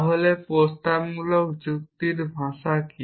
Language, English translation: Bengali, So, what is the language of propositional logic